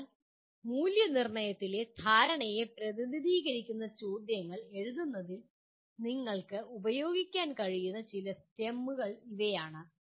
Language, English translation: Malayalam, So these are some of the STEMS that you can use in writing questions representing understanding in your assessment